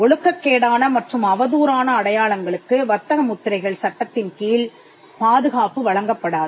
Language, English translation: Tamil, Marks that are immoral and scandalous will not be offered protection under the trademark law